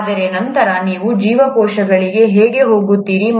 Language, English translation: Kannada, But then, how do you get to cells